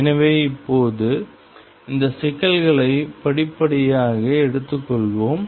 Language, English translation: Tamil, So, let us now take these problems step by step